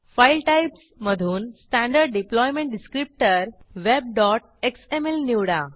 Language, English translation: Marathi, And From the File Types, choose Standard Deployment Descriptor(web.xml)